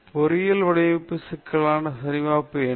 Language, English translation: Tamil, What is a checklist for an engineering design problem